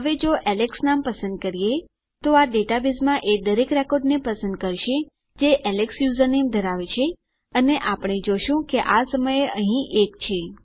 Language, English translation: Gujarati, Now if we choose the name alex, this would select every record in the database that has the username alex and we can see theres one at the moment